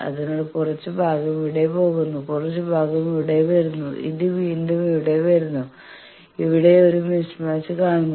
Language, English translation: Malayalam, So, some portion goes here, some portion comes here then again this here it comes again here it sees a match mismatch